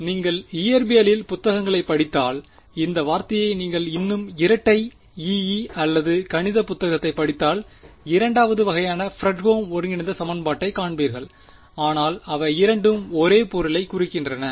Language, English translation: Tamil, So, if you read a physics books you physics book you are likely to hear this word for it if you read a more double E or math book you will find Fredholm integral equation of second kind, but they both refer to the same object ok